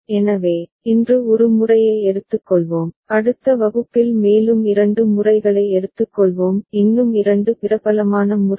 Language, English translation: Tamil, So, we shall take up one method today and in the next class we’ll take up two more methods; two more popular methods